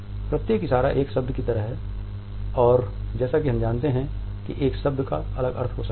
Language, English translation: Hindi, Each gesture is like a single word and as we know a word may have different meaning